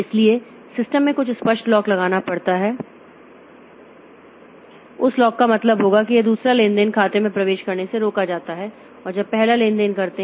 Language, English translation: Hindi, So, there has to be some explicit lock put into the system and that lock will mean that this second transaction is stopped from accessing the account when the first transaction doing it